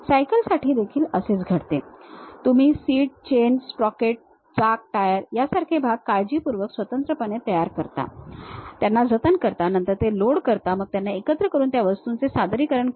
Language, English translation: Marathi, Similar thing happens even for cycle, you prepare something like a seat, chain, sprocket, wheel, tire, individual parts you carefully prepare it, save them, then load them, assemble them and visualize the objects